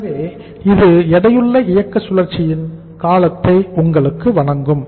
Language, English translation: Tamil, So this will give you the duration of the weighted operating cycle